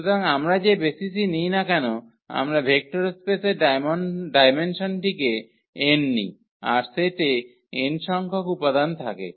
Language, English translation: Bengali, So, whatever basis we take the dimension is n of the vector space then there has to be n elements in the set